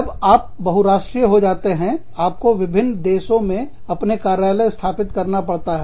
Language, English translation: Hindi, When you go multinational, you set up offices, in different countries